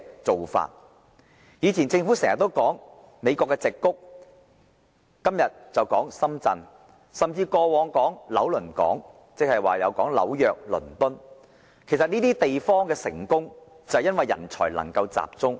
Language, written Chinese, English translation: Cantonese, 政府以往經常提及美國矽谷，今天則說深圳，過往也提及紐約、倫敦，這些地方的成功正是因為人才能夠集中。, In the past the Government often talked about the Silicon Valley in the United States and today Shenzhen is mentioned instead . New York and London were also mentioned in the past . The success of these places actually lies in their ability to pool talents